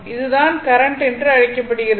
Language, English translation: Tamil, This is what you call that current